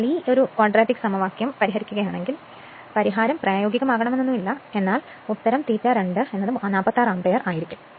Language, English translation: Malayalam, So, if you solve this quadratic equation, 1 solution may not be feasible and answer will be I a 2 is equal to 46 ampere right